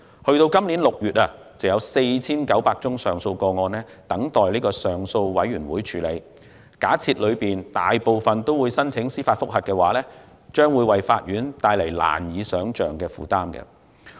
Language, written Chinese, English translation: Cantonese, 截至今年6月，約有 4,900 宗上訴個案等待上訴委員會處理，假設當中大部分人均會申請司法覆核，便會為法院帶來難以想象的負擔。, As of June this year about 4 900 appeals were awaiting processing by TCAB . Assuming that most of the claimants will apply for judicial review this will put an unimaginable burden on the courts